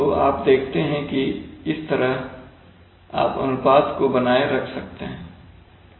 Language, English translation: Hindi, So you see that in this way you can maintain the ratio